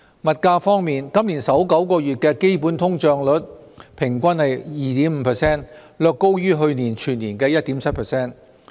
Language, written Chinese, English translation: Cantonese, 物價方面，今年首9個月的基本通脹率平均為 2.5%， 略高於去年全年的 1.7%。, Concerning the prices of goods the average underlying inflation rate was 2.5 % in the first nine months this year slightly higher than the annual rate of 1.7 % last year